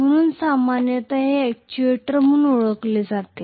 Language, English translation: Marathi, So this is generally known as an actuator